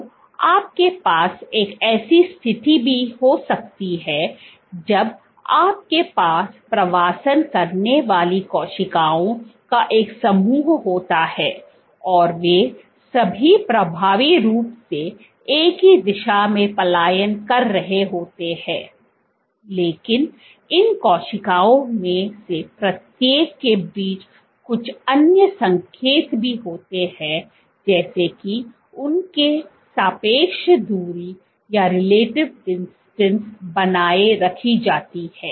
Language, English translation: Hindi, So, you can also have a situation when you have a group of cells migrating, all of them are effectively migrating in the same direction, but there is some other signaling between each of these cells such that their relative distance is maintained